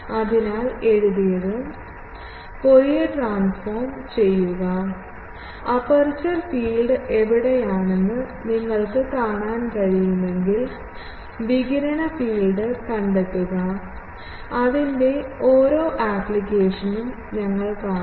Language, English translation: Malayalam, So, by Fourier transform then if you can guess the, a think where aperture field, then you can find the radiated field, we will see one by one application of that